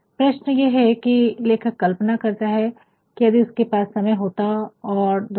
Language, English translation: Hindi, Now, the question is that the writer imagines, that if I have the time and the world